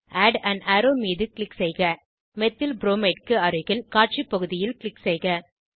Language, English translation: Tamil, Click on Add an arrow, click on Display area beside Methylbromide